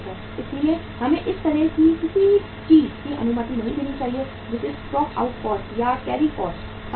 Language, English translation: Hindi, So we should not allow anything of the kind which is called as the stock out cost and the carrying cost